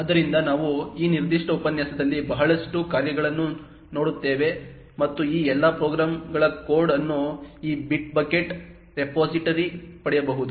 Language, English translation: Kannada, So, we will be looking at a lot of programs in this particular lecture and the code for all these programs can be obtained from this bitbucket repository